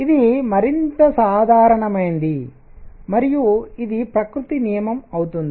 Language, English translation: Telugu, And it turns out that this is more general and it becomes a law of nature